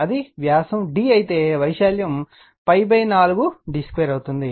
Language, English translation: Telugu, If it is diameter is d, so area will be pi by 4 d square